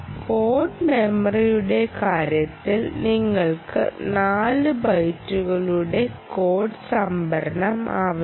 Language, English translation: Malayalam, ok, in terms of code memory, code memory you need four bytes of code storage